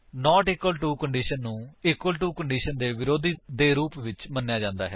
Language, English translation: Punjabi, The not equal to condition can be thought of as opposite of equal to condition